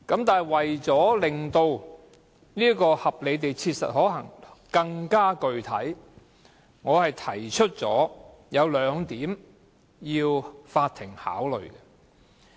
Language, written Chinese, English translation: Cantonese, 不過，為令合理地切實可行更具體，我會提出兩點供法院考慮。, However in order to give more specific description to reasonably practicable I have put forward two points for consideration by the court